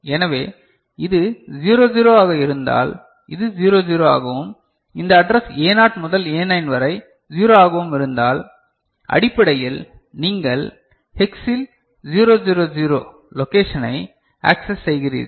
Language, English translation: Tamil, So, if this is 00, if this is 00 and this address A0 to A9 is all 0, so basically you are accessing the location 000 in hex